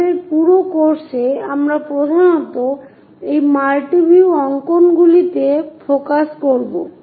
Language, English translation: Bengali, In our entire course, we will mainly focus on this multi view drawings